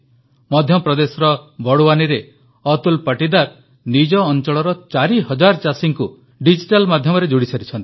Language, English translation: Odia, Atul Patidar of Barwani in Madhya Pradesh has connected four thousand farmers in his area through the digital medium